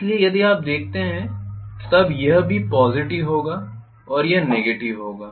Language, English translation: Hindi, So if you look at this still it will be positive and this will be negative